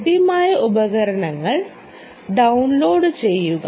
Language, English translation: Malayalam, download the tools which are available